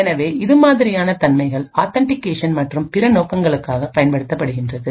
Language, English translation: Tamil, So this is essentially utilised for authentication and other purposes